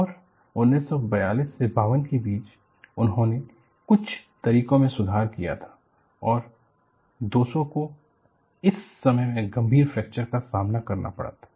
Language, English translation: Hindi, And, between 1942 to 52, they had also improved some of the methodologies and 200 suffered serious fractures in this time frame